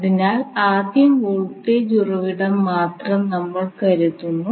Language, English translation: Malayalam, So lets us first take the voltage source